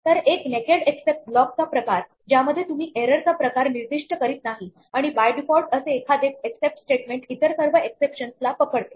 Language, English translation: Marathi, So, kind of a naked except block in which you do not specify the type of error and by default such an except statement would catch all other exceptions